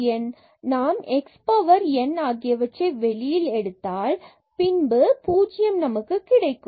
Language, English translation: Tamil, And here we have again x power n taken out so, 1 x we have to divide